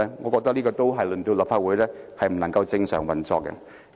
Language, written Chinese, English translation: Cantonese, 我覺得這樣令立法會不能正常運作。, Such action would in my view render the Council unable to operate normally